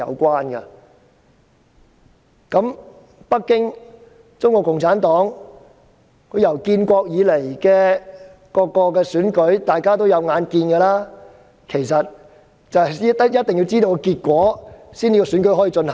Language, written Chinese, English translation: Cantonese, 大家有目共睹，建國以來的各次選舉，北京和中國共產黨一定要知道結果才可以進行。, It is obvious to all that since the founding of the nation elections will only be held if the results are known to Beijing and the Communist Party of China CPC